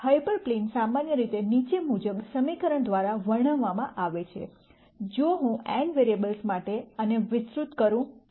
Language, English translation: Gujarati, The hyper plane is usually described by an equation as follows, if I expand this out for n vari ables